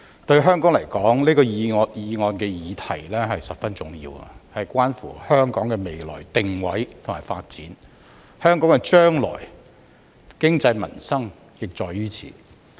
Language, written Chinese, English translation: Cantonese, 對香港來說，這項議案的議題十分重要，關乎香港的未來定位和發展，香港將來的經濟民生亦在於此。, The matter of the motion is very important to Hong Kong as it concerns not only the future positioning and development of Hong Kong but also our future economy and livelihood